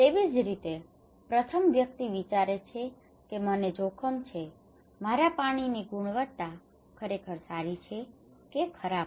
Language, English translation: Gujarati, So the first person will think that am I at risk, is my water is quality is really good or bad